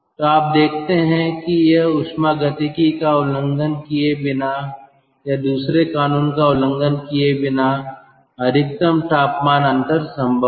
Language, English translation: Hindi, so you see, this is the maximum temperature difference possible without violating thermodynamics or without violating second law